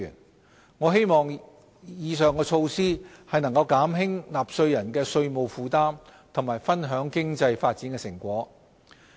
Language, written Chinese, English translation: Cantonese, 我們希望以上措施能減輕納稅人的稅務負擔和分享經濟發展成果。, We hope that the above mentioned measures will help relieve the burden on taxpayers and share the fruits of our economic development